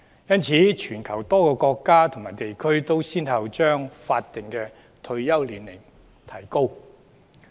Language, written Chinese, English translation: Cantonese, 因此，全球多個國家和地區均已先後把法定退休年齡提高。, Hence countries and regions around the world have raised the statutory retirement age one after another